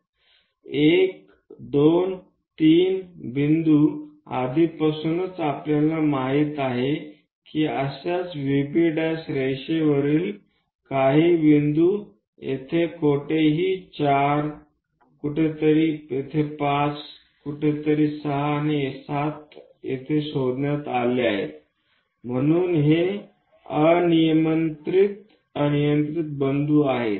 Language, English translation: Marathi, So 1, 2, 3 points already we know similarly locate some other points on that V B prime line somewhere here 4 somewhere here 5 somewhere here 6 and 7, so these are arbitrary points